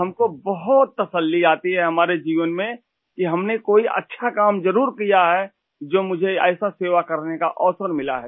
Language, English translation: Hindi, It gives us a lot of satisfaction…we must have done a good deed in life to get an opportunity to offer such service